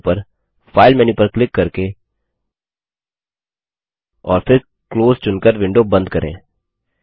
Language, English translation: Hindi, Let us close the window, by clicking the File menu on the top and then choosing Close